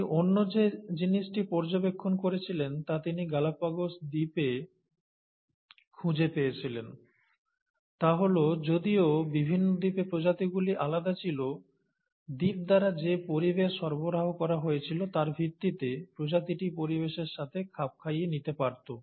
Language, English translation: Bengali, The other thing that he observed as he found in the Galapagos Island, is that though the species were different in different islands, based on the environment which was being provided by the island, the species could adapt to that environment